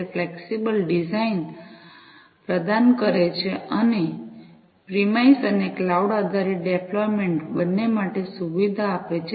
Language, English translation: Gujarati, It provides a flexible design and offers a facility, for both premise and cloud based deployment